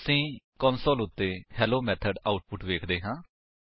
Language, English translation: Punjabi, We see the output Hello Method on the console